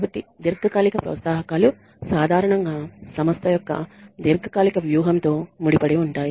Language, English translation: Telugu, So, long term incentives usually tie in with the long term strategy of the organization